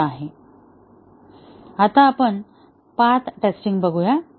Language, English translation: Marathi, Now, let us look at path testing